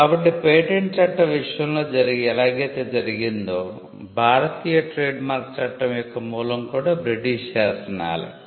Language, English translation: Telugu, So, we will see just as we had in the case of Patent Law, the origin of Indian Trademark Law is also from British Statutes